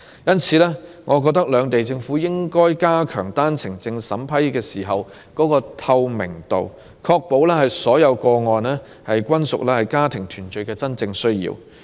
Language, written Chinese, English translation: Cantonese, 因此，我認為兩地政府應加強單程證審批工作的透明度，確保所有個案均屬家庭團聚的真正需要。, I therefore consider it necessary for the governments of both sides to enhance the transparency of the vetting and approval of OWP applications so as to ensure that all OWPs are issued to people with genuine need for family reunion